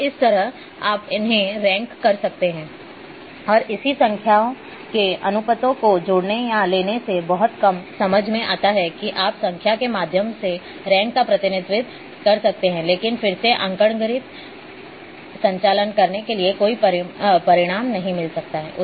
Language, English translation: Hindi, So, you can rank them and adding or taking ratios of such numbers makes little sense there you can represent ranks through numbers, but again performing arithmetic operations may not bring any results